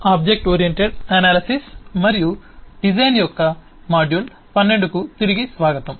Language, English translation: Telugu, welcome back to module 12 of object oriented analysis and design